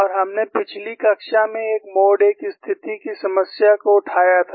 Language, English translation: Hindi, And that is what you see for the mode 1 situation